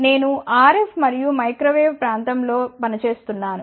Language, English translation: Telugu, I am working in the area of RF and Microwave